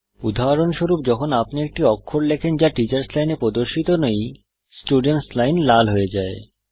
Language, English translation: Bengali, For example, when you type a character that is not displayed in the Teachers Line, the Student line turns red